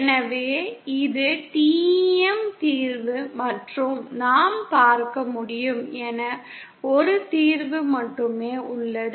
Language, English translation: Tamil, So this is the TEM solution and as we can see there is only a single solution